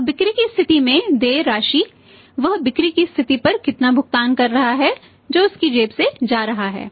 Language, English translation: Hindi, Now amount payable at the point of sale amount payable at the point of sales how much is playing at the point of sales which is going out of his pocket